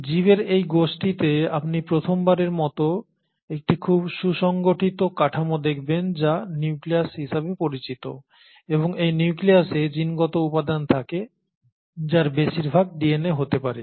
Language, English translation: Bengali, So in this group of organisms, you for the first time see a very well defined structure which is called as the nucleus and it is this nucleus which houses the genetic material which can be DNA in most of them